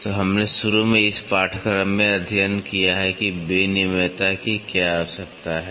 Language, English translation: Hindi, So, we studied in this course initially what is the need for interchangeability